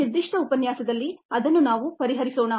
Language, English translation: Kannada, let us solve that in this particular lecture